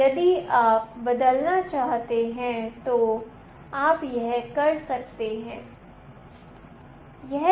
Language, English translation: Hindi, If you want to change that you can do it